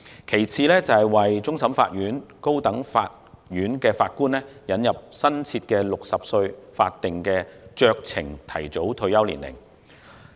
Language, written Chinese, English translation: Cantonese, 其次，為終審法院及高等法院的法官引入新設的60歲法定酌情提早退休年齡。, Next introduce a new statutory discretionary early retirement age of 60 for Judges of CFA and the High Court